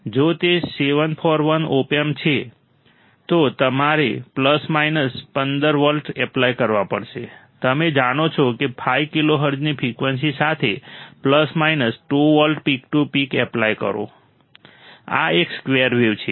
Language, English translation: Gujarati, If it is a 741 opamp, you have to apply plus minus 15 volts; you know apply plus minus 2 volts peak to peak with a frequency of 5 kilohertz, this is a square wave